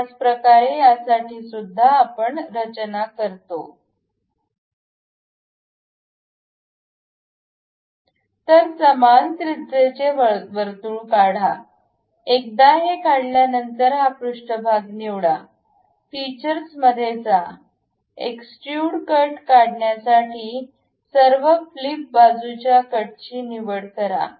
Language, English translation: Marathi, For this normal to it, draw a circle of same radius, once done we pick this surface, go to features, extrude cut, instead of blind pick through all flip side to cut